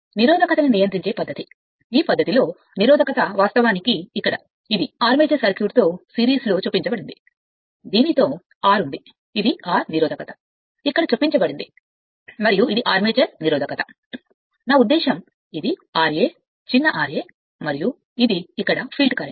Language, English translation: Telugu, Another is the that armature resistors resistance control method, in this method resistance actually here, it is inserted in series with the armature circuit with this is your R this is your R that resistance is inserted here and armature resistance I mean, it is your R a small r a right and this is the field current here nothing is there